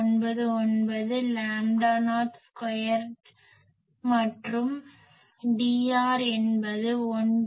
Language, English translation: Tamil, 199 lambda not square and what is D r that is 1